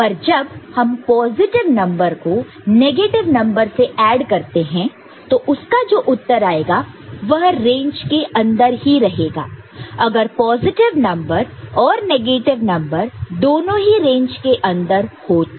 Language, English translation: Hindi, But, when you are adding a positive number with negative number the result I mean, if the positive number and negative number to begin with are within range